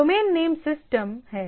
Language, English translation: Hindi, Domain Name Systems